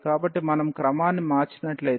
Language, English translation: Telugu, So, if we change the order